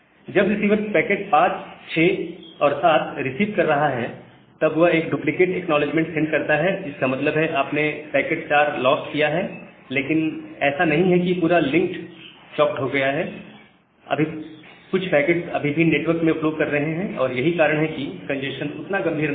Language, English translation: Hindi, So, when the receiver is receiving packet 5, 6, and 7, it is sending back a duplicate acknowledgement, so that means, you have lost possibly lost packet 3, but it is not like that this the link is entirely getting choked, some packets are still flowing in the network, so that is why the congestion is not that much severe